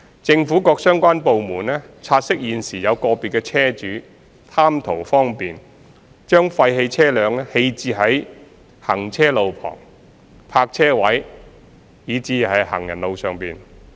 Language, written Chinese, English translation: Cantonese, 政府各相關部門察悉現時有個別車主貪圖方便，將廢棄車輛棄置在行車路旁、泊車位以至行人路上。, Relevant government departments have noted that individual vehicle owners have for their own convenience left their abandoned vehicles at roadsides parking spaces or pavements